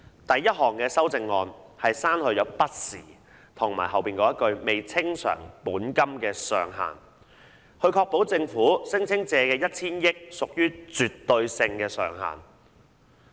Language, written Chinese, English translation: Cantonese, 第一項修訂議案是刪去"不時"和"未清償本金的上限"，以確保政府聲稱借的 1,000 億元是絕對上限。, The first amending motion seeks to delete from time to time and outstanding by way of principal in order to ensure that the 100 billion ceiling claimed by the Government is the absolute maximum